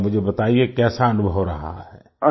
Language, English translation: Hindi, Tell me, how was the experience